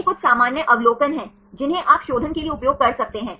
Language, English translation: Hindi, These are there some common observations, this you can use for refinement